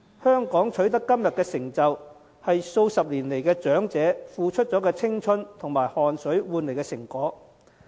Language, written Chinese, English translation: Cantonese, 香港能取得今天的成就，是數十年來長者付出青春及汗水換來的成果。, Hong Kong owes much of its achievements today to the decades - long sweat and toil of our elderly in the prime of their life